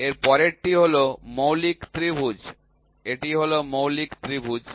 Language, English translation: Bengali, Next one is fundamental triangle this is the fundamental triangle